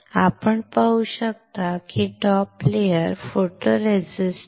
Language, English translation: Marathi, You can see the top layer is photoresist